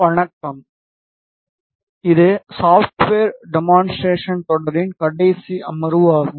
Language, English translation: Tamil, Hello welcome to the last second session in the series of Software Demonstrations